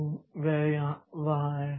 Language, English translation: Hindi, So, that is there